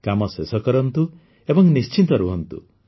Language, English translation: Odia, Finish your work and be at ease